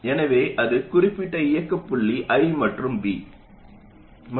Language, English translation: Tamil, So it will have certain operating point, I and V